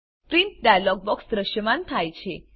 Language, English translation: Gujarati, Now, the Printing dialog box appears